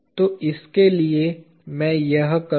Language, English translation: Hindi, So, for this, I will do this